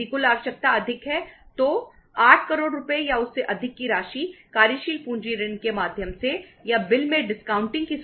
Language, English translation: Hindi, 8 crores worth of rupees or above if the total requirement is more has to be given by way of working capital loan or by as a bill discounting facility